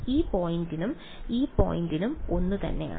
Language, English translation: Malayalam, So, this point and this point is the same